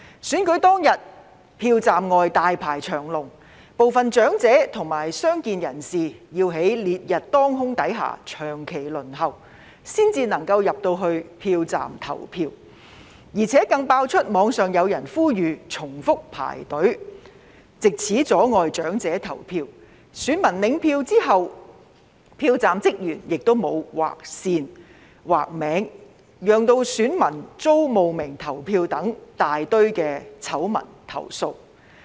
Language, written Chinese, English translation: Cantonese, 選舉當天，票站外大排長龍，部分長者及傷健人士要在烈日當空下長期輪候，才可以進入票站投票，而且更爆出網上有人呼籲重複排隊，藉此阻礙長者投票，以及選民領取選票後，票站職員沒有劃線劃名，令選民遭冒名投票等大堆醜聞投訴。, On the election day there were long queues outside the polling stations . Some elderly people and persons with disabilities had to wait for a long time under the scorching sun before they could enter the polling stations to vote . Moreover there were loads of scandalous complaints about among others netizens calling for people to queue up repeatedly in order to obstruct the elderly from voting and polling staff not crossing out the names of voters after the voters had collected their ballot paper resulting in voters being impersonated